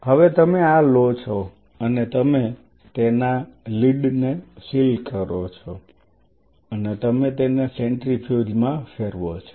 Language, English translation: Gujarati, Now, you take this you seal the lead of it and you spin it in a centrifuge